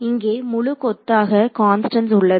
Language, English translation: Tamil, So, there are a whole bunch of constants over here right